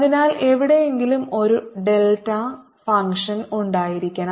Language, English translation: Malayalam, so that means there must be a delta function somewhere